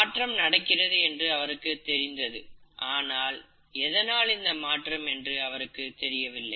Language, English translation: Tamil, He knew that the changes are happening, but what is causing it